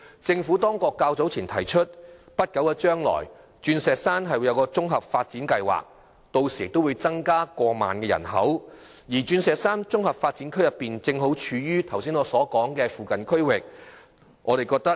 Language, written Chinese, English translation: Cantonese, 政府較早前提出，在不久將來在鑽石山推出綜合發展計劃，屆時人口會增加過萬，而鑽石山綜合發展區正好處於圖書館服務未能覆蓋的區域。, The Government has recently announced that a comprehensive development programme will be launched in Diamond Hill in the near future and after its completion the population is expected to be over 10 000 . The Diamond Hill Comprehensive Development Area is situated in an area not covered by library service